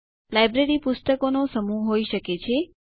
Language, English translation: Gujarati, A library can be a collection of Books